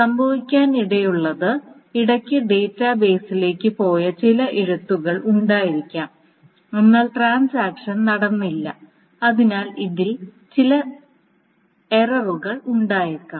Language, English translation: Malayalam, So that means that what may happen is that there may be some rights in between which has gone to the database but the transaction has not committed so there may be some errors indeed